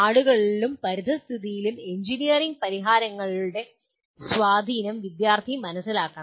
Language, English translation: Malayalam, And student should understand the impact of engineering solutions on people and environment